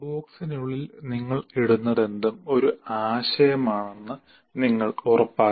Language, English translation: Malayalam, You should make sure whatever you put inside the box is actually a concept